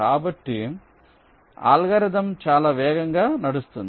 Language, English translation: Telugu, so the algorithm will be running much faster